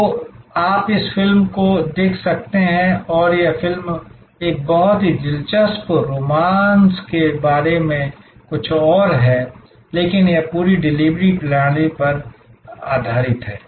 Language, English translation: Hindi, So, you can also look at that movie and that movie is about something else about a very interesting romance, but it is based on this entire delivery system